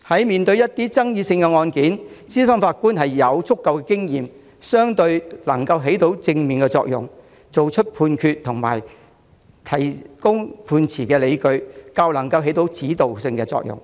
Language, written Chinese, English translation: Cantonese, 面對一些爭議性案件，資深法官有足夠經驗，能夠發揮正面作用，作出判決及為判決提供理據，有指導作用。, In dealing with some controversial cases senior judges with sufficient experience can play positive roles make judgments provide evidence for the judgments and provide guidance